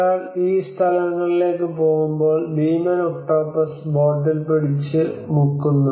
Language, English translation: Malayalam, When one goes to these places, the giant octopus holds onto the boat and sinks it till it drowns